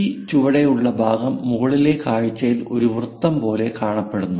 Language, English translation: Malayalam, So, this bottom portion looks like a circle in the top view